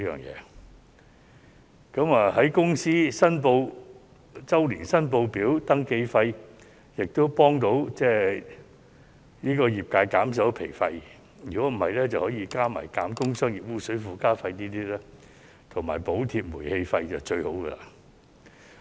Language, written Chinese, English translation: Cantonese, 有關寬免公司周年申報表登記費的措施，亦能幫助業界降低經營成本；如果能夠加上減免工商業污水附加費和補貼煤氣費，便是最好的了。, The measure of waiving the registration fees for all annual returns of companies can also help the sectors reduce operating costs . If trade effluent surcharge can be reduced and gas tariff can be subsidized it will be more desirable